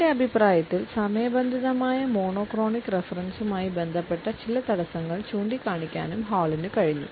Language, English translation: Malayalam, Hall has also been able to point out certain constraints which are associated in his opinion with the monochronic reference for time